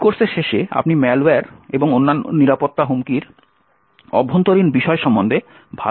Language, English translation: Bengali, So what you can expect by the end of this course is that you will have a good understanding about the internals of malware and other security threats